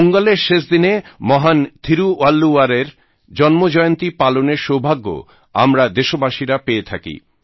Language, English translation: Bengali, The countrymen have the proud privilege to celebrate the last day of Pongal as the birth anniversary of the great Tiruvalluvar